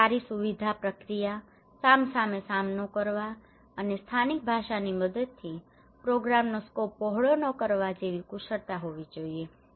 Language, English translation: Gujarati, And good facilitation process; there should be enough skill like face to face and using local language not to widen the scope of the program exercise